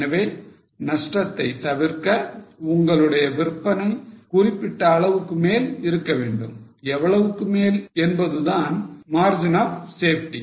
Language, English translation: Tamil, So to avoid losses you are above certain level of sales, how much you are above is the margin of safety